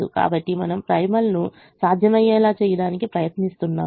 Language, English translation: Telugu, so we were trying to make the primal feasible